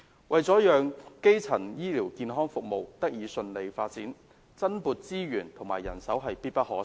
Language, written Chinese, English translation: Cantonese, 為了讓基層醫療健康服務得以順利發展，增撥資源及人手必不可少。, In order to enable the smooth development of primary health care services it is essential to allocate additional resources and manpower